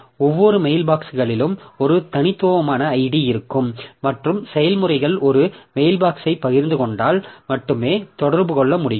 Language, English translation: Tamil, So, each mail box will have a unique ID and processes can communicate only if they share a mailbox